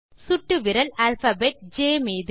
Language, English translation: Tamil, Index finger on the alphabet J